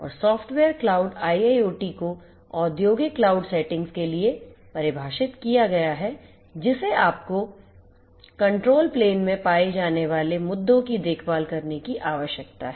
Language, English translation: Hindi, And software defined IIoT for industrial cloud settings you need to take care of issues like the ones over here in the control plane